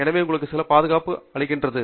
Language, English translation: Tamil, So, that provides you some protection